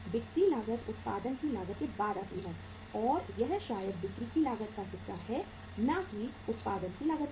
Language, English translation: Hindi, Selling cost is after the cost of production that maybe the part of the cost of sales but not cost of production